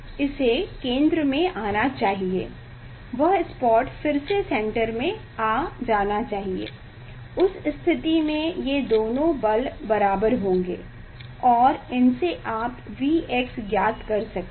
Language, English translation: Hindi, it should come to the centre; that spot should come to the canter again, in that condition these two force will be equal and from their you can find out V x